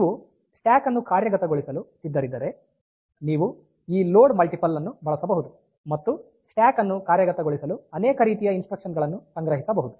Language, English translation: Kannada, So, if you are willing to implement a stack, so you can use this load multiple and store multiple type of instruction for implementing a stack